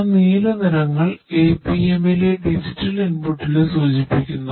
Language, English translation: Malayalam, That blue colours APMs indicates the digital input ah